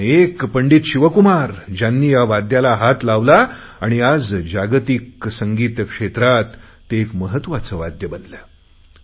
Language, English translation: Marathi, But it was Pandit Shiv Kumar Sharma whose magical touch transformed it into one of the prime musical instruments of the world